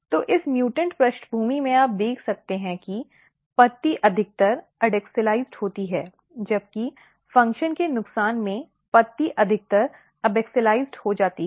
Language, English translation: Hindi, So, in this mutant background you can see that leaf is mostly adaxialized whereas, in loss of function the leaf is mostly abaxialized